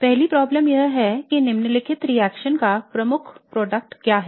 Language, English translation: Hindi, The first problem is what is a major product of the following reaction